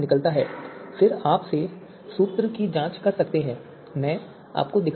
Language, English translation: Hindi, 5 so you can check back the formula again let me show you